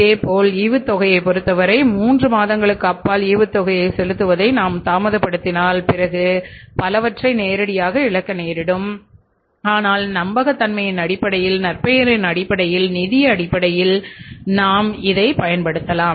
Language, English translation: Tamil, Similarly in the case of the dividends if you delay the payment of the dividend beyond three months you will lose many things may not be directly but indirectly in terms of the credibility in terms of the reputation in terms of the financial say you can call it as the rating or reputation or credibility you will have to lose